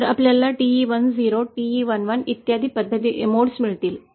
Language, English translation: Marathi, So we will get modes like TE 10, TE 11 and so on